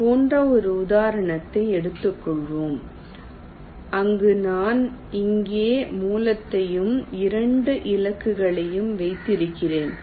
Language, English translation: Tamil, lets take an example like this, where i have the source here and the two targets